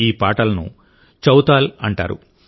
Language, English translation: Telugu, These songs are called Chautal